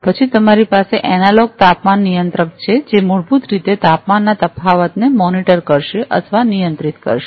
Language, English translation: Gujarati, Then you have the analog temperature controller, which will basically monitor or control the temperature variation